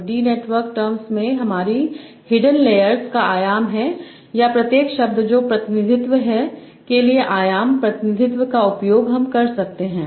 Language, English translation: Hindi, So these my,, these are the dimension of my hidden layer in the network terms or for each word what is the representation that you are using a D dimensional representation